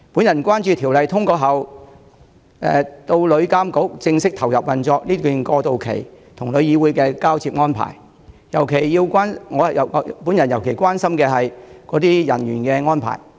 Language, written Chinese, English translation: Cantonese, 我關注《條例草案》通過後至旅監局正式投入運作之間的過渡期，以及與旅議會的交接安排，尤其是相關人員的安排。, I am concerned about the transitional period between the passage of the Bill and the formal operation of TIA as well as the handover arrangements from TIC to TIA particularly the arrangement of the relevant personnel